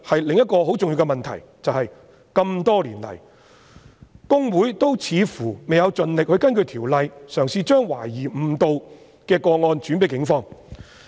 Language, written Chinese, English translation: Cantonese, 另一個很重要的問題是，這麼多年來，公會似乎未有盡力根據《條例》，嘗試將懷疑誤導的個案轉介警方。, Another very important issue is that over the years HKICPA has apparently not tried its best to refer suspected cases of misleading representation to the Police in accordance with the Ordinance